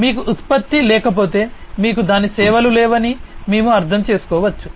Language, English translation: Telugu, And we can understand that if you do not have product, you do not have its services